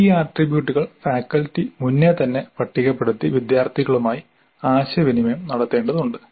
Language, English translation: Malayalam, So these attributes have to be listed by the faculty upfront and communicated to the students